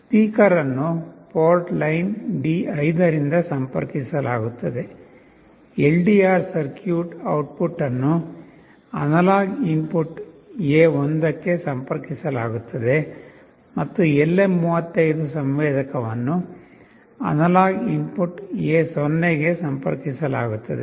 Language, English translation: Kannada, This speaker will be interfaced from port line D5, the LDR circuit output will be connected to analog input A1, and the LM35 sensor will be connected to analog input A0